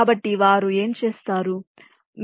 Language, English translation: Telugu, so what they do